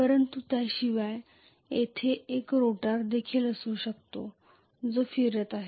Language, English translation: Marathi, But apart from that there can be a rotor which is also rotating